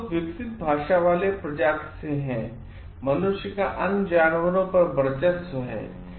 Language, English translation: Hindi, We are the only creatures with developed language humans have a domination of overall other animals